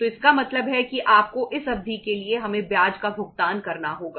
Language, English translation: Hindi, So it means you have to pay the interest to us for this much period of time